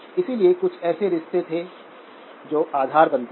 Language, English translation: Hindi, So there were certain relationships that form the foundation